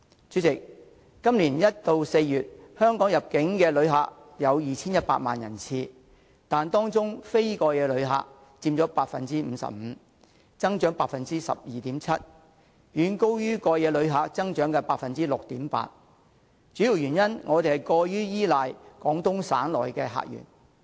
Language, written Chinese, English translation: Cantonese, 主席，今年1月至4月香港的入境旅客有 2,100 萬人次，但當中非過夜旅客佔 55%， 增長達 12.7%， 遠高於過夜旅客增長的 6.8%， 主要原因是我們過於依賴廣東省的客源。, President there were 21 million inbound tourists from January to April this year but 55 % of them were same - day visitors representing an increase rate of 12.7 % far greater than that of overnight visitors at 6.8 % . The main reason for this is that we have been too reliant on tourists from the Guangdong Province